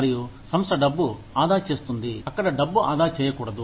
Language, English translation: Telugu, And, the organization saves money, where it should not be saving money